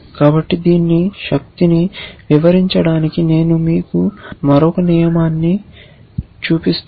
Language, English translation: Telugu, So, the illustrate the power of this let me show you another rule